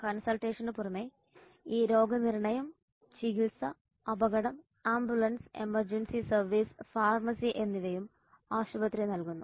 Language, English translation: Malayalam, In addition to consultation there is diagnosis treatment, casualty ambulance emergency service and pharmacy which are also provided by the hospital